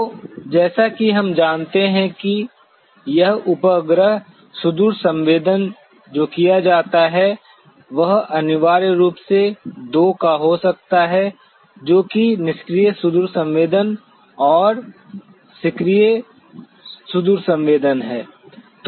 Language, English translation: Hindi, So, as we know this satellite remote sensing that is done is essentially could be of two that is the passive remote sensing and active remote sensing